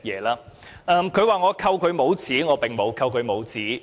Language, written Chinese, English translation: Cantonese, 他說我扣他帽子，我並沒有扣他帽子。, He said that I had pinned a label on him . I did not pin any label on him